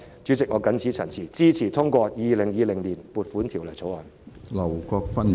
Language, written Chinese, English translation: Cantonese, 主席，我謹此陳辭，支持通過《2020年撥款條例草案》。, With these remarks President I support the passage of the Appropriation Bill 2020